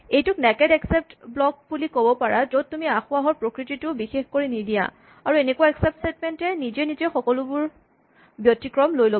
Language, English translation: Assamese, So, kind of a naked except block in which you do not specify the type of error and by default such an except statement would catch all other exceptions